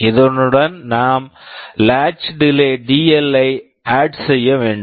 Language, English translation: Tamil, And to it we have to also add the latch delay dL